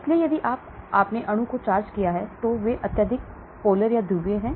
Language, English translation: Hindi, So if you have charged molecule, they are highly polar